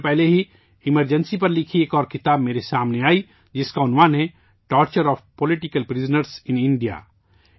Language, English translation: Urdu, A few days ago I came across another book written on the Emergency, Torture of Political Prisoners in India